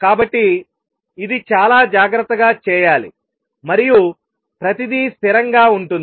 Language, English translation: Telugu, So, this has been done very carefully and everything is consistent